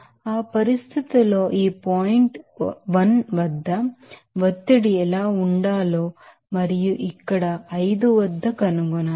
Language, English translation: Telugu, Now, at that situation, you have to find out what should be the pressure at this point 1 at its 5 here